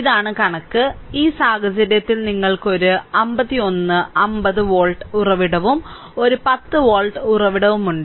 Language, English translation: Malayalam, And I just this thing and your, in this case that you have one 51, 50 volt source right, and one your 10 volt source, so the 10 volt source